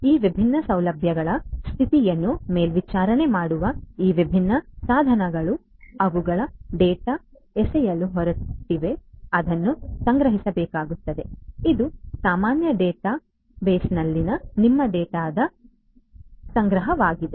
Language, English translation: Kannada, These different devices which are monitoring the condition of these different facilities, they are going to throw in data which will have to be stored; this is your storage of the data in the common database